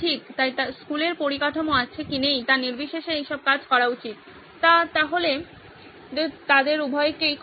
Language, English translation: Bengali, So all this should work irrespective whether the school has the infrastructure or not, so this covers both of them